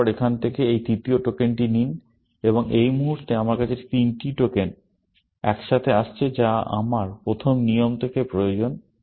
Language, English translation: Bengali, Then, take this third token from here, and at this point, I have three tokens coming together, which is what I need from a first rule, essentially